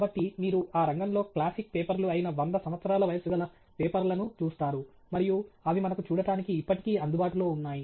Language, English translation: Telugu, So, you look up papers which are, you know, one hundred years old which are classic papers in that field and they are still available for us to see